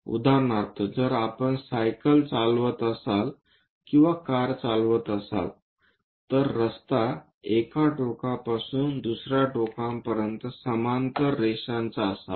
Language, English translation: Marathi, For example, if we are riding a bicycle or driving a car, the road is supposed to be a parallel lines from one end to other end